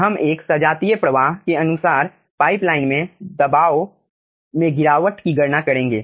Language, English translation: Hindi, in this 1 we will be calculating the pressure drop inside a pipeline having homogeneous flow